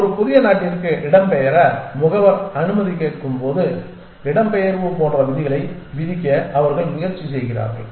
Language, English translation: Tamil, And then they try to impose rules like migration when is the agent allow to migrate to a new country